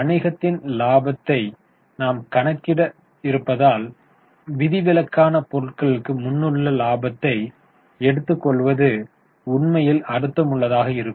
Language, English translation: Tamil, Actually it makes more sense to take profit before exceptional item because you are trying to calculate profitability of the business